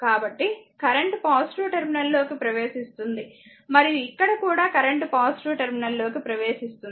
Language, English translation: Telugu, So, current entering into the positive terminal and here also you mean that current entering the positive terminal , right